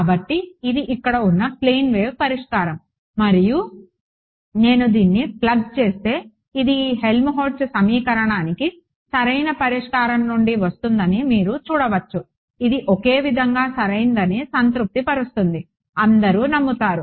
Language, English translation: Telugu, So, this is the plane wave solution over here and you can see that if I and if I plug this into this I mean this is coming from the solution to this Helmholtz equation right, it satisfies it identically right, everyone is convinced